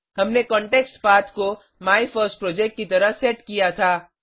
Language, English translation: Hindi, We had set the ContextPath as MyFirstProject itself